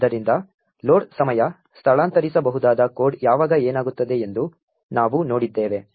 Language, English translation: Kannada, So, we have seen what happens when the load time relocatable code